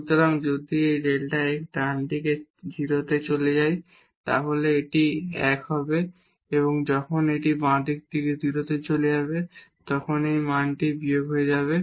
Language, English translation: Bengali, So, if this delta x goes to 0 from the right side then this will be 1 and when it goes to 0 from the left side then this value will become minus 1